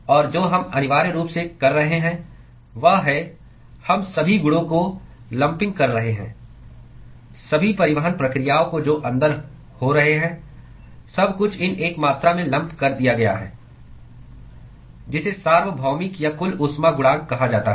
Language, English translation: Hindi, And what we are doing essentially is, we are lumping all the properties, all the transport processes which are occurring inside, everything is lumped into these one quantity called universal or overall heat coefficient